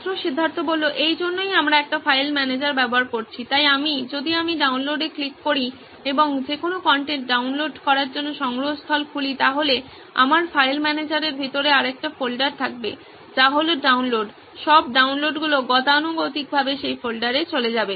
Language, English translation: Bengali, So that is why we are using a file manager, so I, if I click on download and open the repository to download any content I will have another folder inside my file manager which is downloads, all the downloads by default will go into that folder